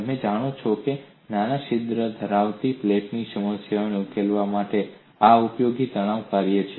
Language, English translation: Gujarati, You know this is a useful stress function to solve the problem of a plate with a small whole, infinite plate with a small hole